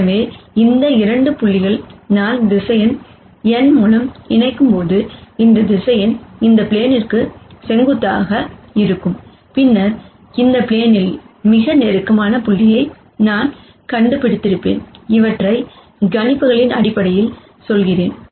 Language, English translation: Tamil, So, as long as these 2 points when I connect by vector n, that vector is perpendicular to this plane, then I would have found the closest point on this plane, which is what I am going for in terms of projections